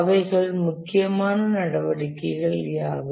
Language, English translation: Tamil, What are the critical activities